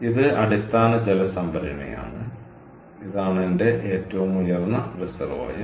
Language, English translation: Malayalam, so this is my base reservoir and this is my top reservoir